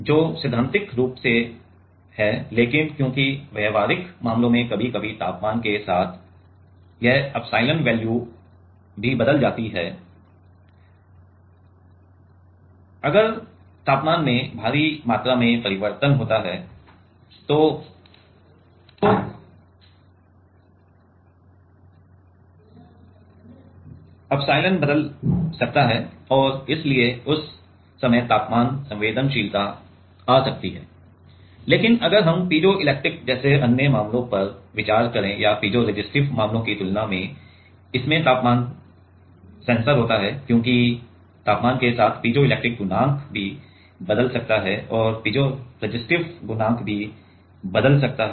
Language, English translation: Hindi, Which is theoretically, but, because in practical cases sometimes this epsilon value also changes with temperature, if the temperature changes by huge amount and the epsilon can change and so, that time temperature sensitivity may come, but if we consider other cases like the piezoelectric or piezoresistive cases than it has a temperature sensor, because with temperature the piezoelectric coefficient also can change and also the piezoresistive coefficient also can change